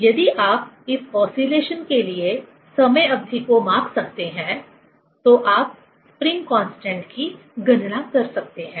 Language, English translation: Hindi, If you can measure the time period for this oscillation, then you can calculate the spring constant